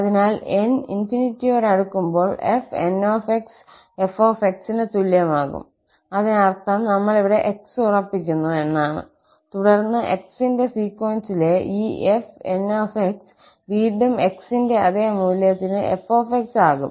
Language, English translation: Malayalam, So, when n approaches to infinity, fn is equal to f, that means we are fixing x here, and then this sequence of fn for fixed value of x goes to f, again for that same value of x